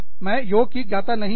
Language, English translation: Hindi, I am no yoga expert